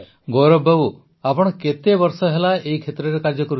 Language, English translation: Odia, Gaurav ji for how many years have you been working in this